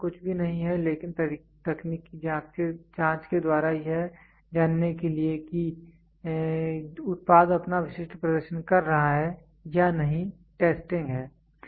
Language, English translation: Hindi, Testing is nothing but a technical investigation to know whether the product fulfills its specific performance is testing